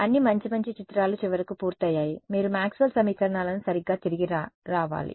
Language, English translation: Telugu, So, all the good nice pictures are done finally, you have to come back to Maxwell’s equations right